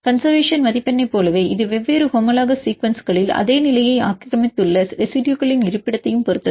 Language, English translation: Tamil, Like the conservation score it depends upon the location of residues which are occupied the same position that in different homologous sequences